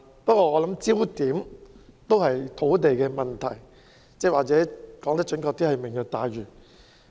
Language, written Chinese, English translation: Cantonese, 不過，我認為焦點始終是土地問題，或者說得更準確，就是"明日大嶼"。, However I believe that the focus is always on the land problem or more accurately on Lantau Tomorrow